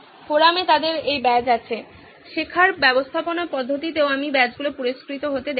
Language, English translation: Bengali, In forums they have this badge, also in learning management system also I have seen badges being rewarded